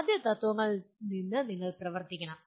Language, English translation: Malayalam, You have to work out from the first principles